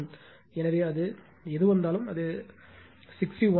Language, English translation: Tamil, So, whatever it comes it is 61